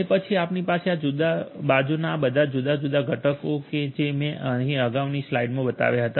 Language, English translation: Gujarati, And then you have on the other side you have all these different components like the ones that I had shown you in the previous slide